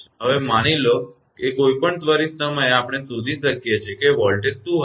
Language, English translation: Gujarati, Now, suppose at any instant I can we can find out what will be the voltage